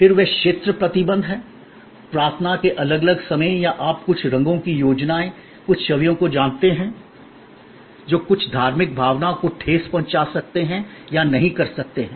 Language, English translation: Hindi, Then, they are regions restrictions, different times of prayer or you know the certain colors schemes, certain images, which may or may not may of offend some religious sentiments all these have to be thought off